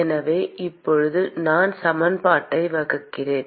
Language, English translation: Tamil, So, now I divide equation by